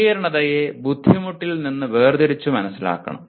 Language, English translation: Malayalam, The complexity should be differentiated from the difficulty